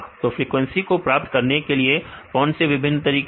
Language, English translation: Hindi, What are the various ways you get the frequency of amino acids